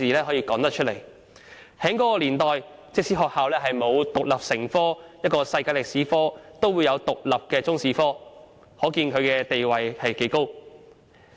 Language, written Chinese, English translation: Cantonese, 在那些年代，即使學校沒有把世界歷史獨立成科，也有獨立的中史科，可見其地位之高。, In those days even if schools did not teach world history as an independent subject they taught Chinese history as an independent subject . This goes to show that the subject of Chinese History had a high status back then